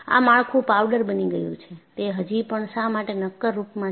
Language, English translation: Gujarati, This structure would have become a powder, while it still remains as solid